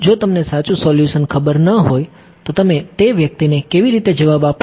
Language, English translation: Gujarati, If you do not know the true solution how will you answer that person